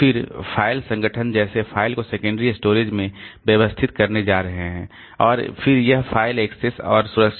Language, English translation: Hindi, Then file organization, how the file are going to be organized in the secondary storage